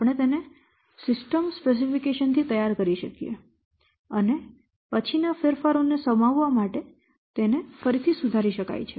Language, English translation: Gujarati, We can prepare a draft form from where from the system specification and then that can be revised later on to accommodate the subsequent changes